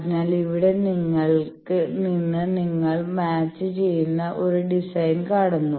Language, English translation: Malayalam, So, that from here you see a matched design